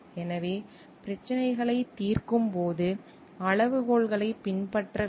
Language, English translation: Tamil, So, the criteria should be followed while solving problems